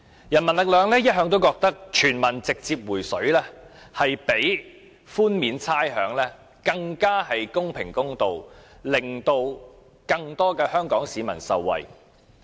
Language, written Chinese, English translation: Cantonese, 人民力量一向認為全民直接"回水"比寬免差餉更公平公道、也能令更多香港市民受惠。, People Power has always believed that refunding the people directly is a fairer measure when compared to rates exemption and can benefit more people